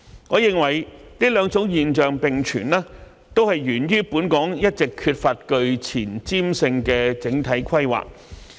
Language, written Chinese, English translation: Cantonese, 我認為這兩種現象並存，也是源於本港一直缺乏具前瞻性的整體規劃。, I think the coexistence of these two phenomena is caused by a lack of forward - looking overall planning in Hong Kong all along